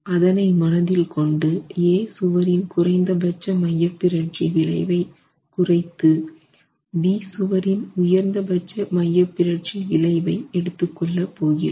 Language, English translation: Tamil, With that in mind, we are going to reduce the least eccentricity effect of eccentricity for wall A and add the maximum effect of eccentricity in wall B